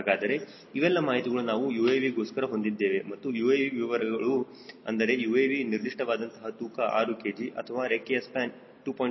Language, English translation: Kannada, so these are the information which we have for a uav or specification of uav are: specification: weight of uav is six kg or wing span is two point five meters